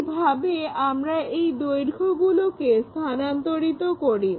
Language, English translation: Bengali, That is the way we transfer this lengths